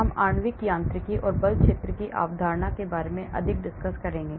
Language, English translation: Hindi, We will talk more on concept of molecular mechanics and force field